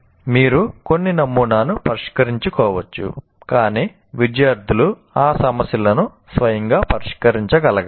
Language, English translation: Telugu, You may solve some sample, but the students should be able to solve those problems by themselves